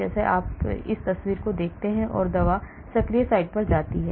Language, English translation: Hindi, like if you see in this picture the drug goes and bind to the active site